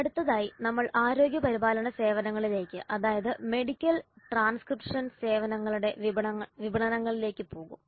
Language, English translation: Malayalam, Next we go to healthcare services that is marketing the medical transcription services